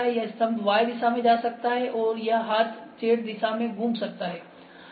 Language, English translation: Hindi, This column can move in Y direction, and this arm can move in Z direction